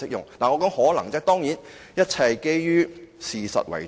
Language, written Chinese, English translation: Cantonese, 我說的是"可能"，當然一切是基於事實為準。, What I said may of course everything is based on fact